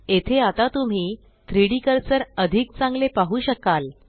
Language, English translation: Marathi, There, you might be able to see the 3D cursor better now